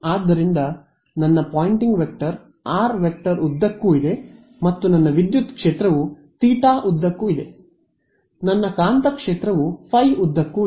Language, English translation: Kannada, So, my Poynting vector is along r hat and my electric field is along theta hat my magnetic field is along